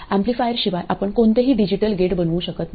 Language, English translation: Marathi, Without amplifiers you could not make any digital gate